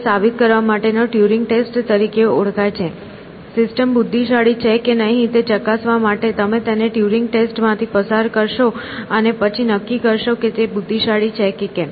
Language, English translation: Gujarati, So, this is what is known as a Turing test of intelligence you might say, to test whether system is intelligent you will pass it through the Turing test and then decide whether it is